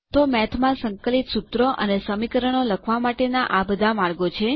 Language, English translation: Gujarati, So these are the ways we can write integral formulae and equations in Math